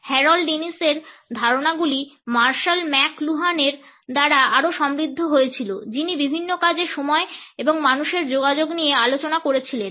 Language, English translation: Bengali, The ideas of Harold Innis were further enriched by Marshall McLuhan who discussed time and human communication in several works